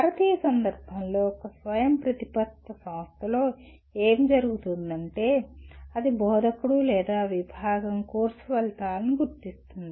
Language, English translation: Telugu, And in Indian context what happens in an autonomous institution, it is the instructor or at the department, the department itself will identify the course outcomes